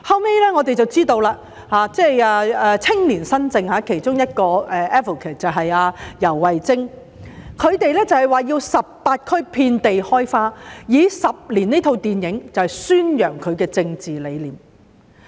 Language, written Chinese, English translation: Cantonese, 後來才知道青年新政其中一個 advocate 游蕙禎，以18區遍地開花的名義，透過《十年》這齣電影宣揚其政治理念。, It was found out later that the movie screening was organized by YAU Wai - ching one of the advocates of Youngspiration which sought to publicize its political ideas with the film Ten Years under the campaign of blossoming everywhere in 18 districts